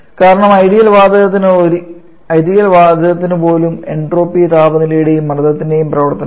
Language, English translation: Malayalam, Because an even for ideal gaseous also entropy is a function of both temperature and pressure